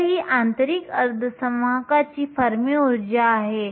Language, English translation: Marathi, So, that this is the fermi energy of an intrinsic semiconductor